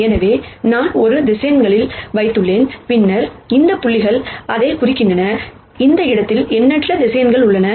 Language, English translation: Tamil, So, I have put in some vectors and then these dots represent that, there are infinite number of such vectors in this space